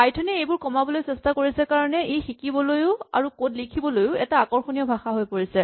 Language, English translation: Assamese, Python tries to minimize this and that makes it an attractive language both to learn and to write code in if you are doing certain kinds of things